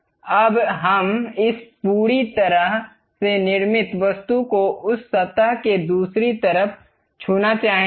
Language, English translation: Hindi, Now, we would like to have this entire constructed object touching the other side of that surface